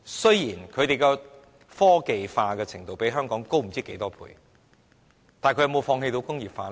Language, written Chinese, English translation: Cantonese, 雖然他們科技化的程度較香港高不知多少倍，但他們有否放棄工業化呢？, Although the level of their technology is umpteen times higher than that of Hong Kong did they ever give up industrialization?